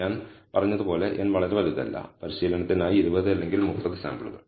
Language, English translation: Malayalam, In this case, we have n samples as I said n is not very large may be 20 or 30 samples we have for training